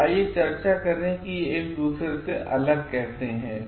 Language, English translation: Hindi, So, let us discuss like how it is different from one another